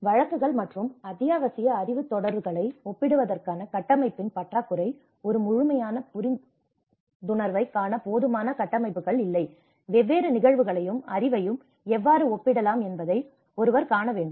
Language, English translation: Tamil, The lack of framework to compare cases and essential knowledge series, so one has to see that there is not sufficient frameworks, how we can compare different cases and the knowledge in order to see a holistic understanding